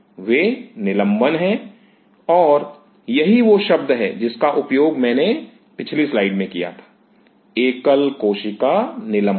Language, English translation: Hindi, They are suspension and this is called the word which I used in the previous slide; single cell suspension